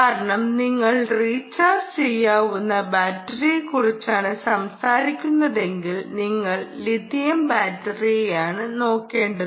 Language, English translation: Malayalam, protection, we will have to come in, because if you are talking about a rechargeable battery, you are looking at lithium ah battery